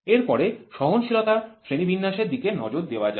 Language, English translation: Bengali, So, the next one is classification of tolerance